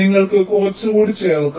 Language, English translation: Malayalam, you can add some more